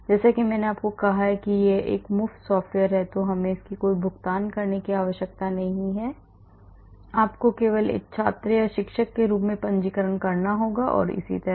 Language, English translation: Hindi, And as I said it is a free software we do not need to have any payment on this you just have to register and register as a student or a faculty and so on